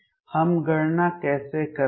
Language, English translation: Hindi, How do we calculate